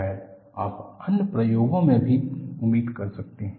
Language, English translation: Hindi, That, probably you could expect in other experiments also